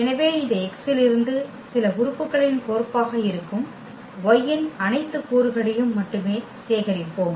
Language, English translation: Tamil, So, we will collect all only those elements of y which are the map of some elements from this X ok